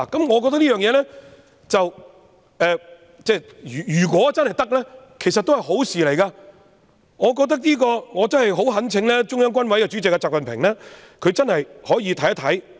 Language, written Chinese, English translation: Cantonese, 我覺得這樣做，如果真的可行，其實也是好事，我懇請中央軍委主席習近平認真看看。, In my view it is also desirable if this proposal is feasible and I implore XI Jinping Chairman of CMC to seriously consider it